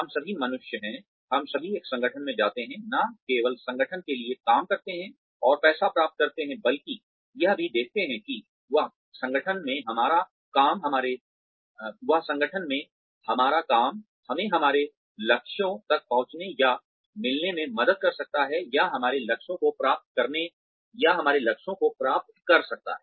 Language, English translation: Hindi, We are all human beings, we all go in to an organization, not only to work for the organization, and get money, but also to see, how our work in that organization, can help us reach or meet our goals, or achieve our goals